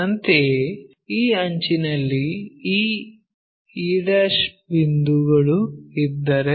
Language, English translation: Kannada, Similarly, if this edge one of the thing this e' point